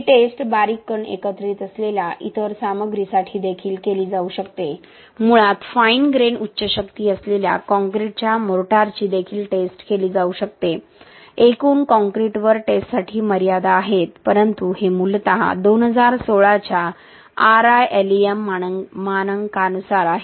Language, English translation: Marathi, This test can be also done for other materials with fine grain aggregates, basically mortars of fine grain high strength concrete can be also tested, there is limitation for testing on larger aggregate concrete but this is basically as per RILEM standards of 2016 RILEM test methods of 2016 for uni axial test of textile reinforced concrete, okay